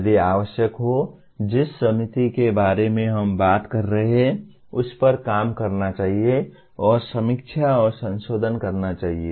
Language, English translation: Hindi, If necessary, the committee that we are talking about should work on it and review and modify